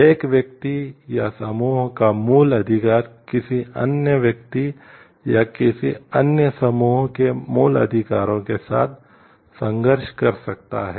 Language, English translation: Hindi, The basic right of one person or a group may conflict with the basic rights of the another person or of another group